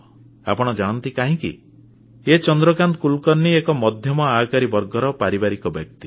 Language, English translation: Odia, Shri Chandrakant Kulkarni is an ordinary man who belongs to an average middle class family